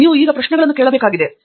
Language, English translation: Kannada, You have to ask questions now